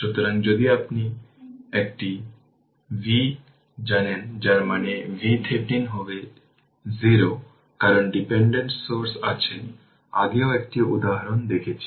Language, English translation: Bengali, So, if know a V that means, V Thevenin will be 0 because no your what you call independent source is there earlier also you have seen one example